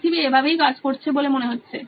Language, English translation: Bengali, That’s how world seems to be working this way